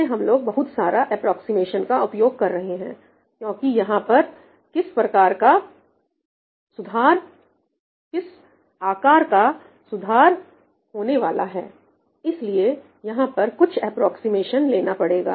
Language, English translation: Hindi, Again, I mean we were using a lot of approximation, but yeah, because the kind of improvements we get are orders of magnitudes, so it is to take some approximations here